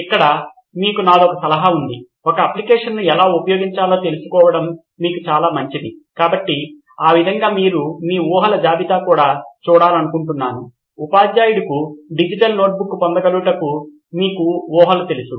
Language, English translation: Telugu, So here is my suggestion to you, this is great for you to get to know how to interact with a product, so that way it is nice but what I would like you to also see is that you had a list of assumptions, assumptions that you had made about you know the teacher has access to a digital notebook and all that